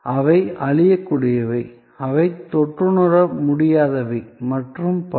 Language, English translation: Tamil, They were perishable; they were intangible and so on